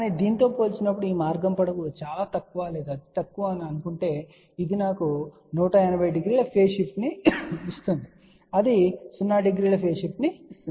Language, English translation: Telugu, But assuming that this path length is very small or negligible in comparison to this, so this will give me 180 degree phase shift this will give 0 degree phase shift